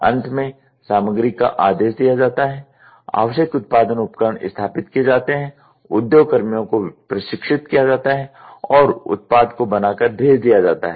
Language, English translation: Hindi, Finally, materials must be ordered, necessary production equipments installed, workers trained and the product produced and shipped